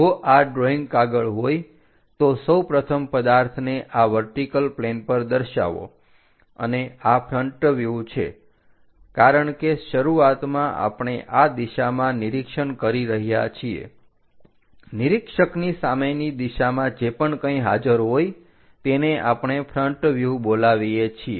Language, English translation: Gujarati, we first of all show this plane on the object on the vertical plane and this is front view, because the first one what we are observing is in this direction; front direction of the observer whatever it is present that is what we call front view